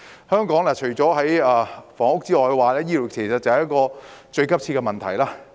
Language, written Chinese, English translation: Cantonese, 香港除房屋問題外，醫療亦是一個最急切的問題。, Apart from the housing issue the healthcare issue is also one of the most pressing problems of Hong Kong